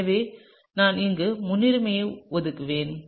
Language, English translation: Tamil, So, I would just assign the priority over here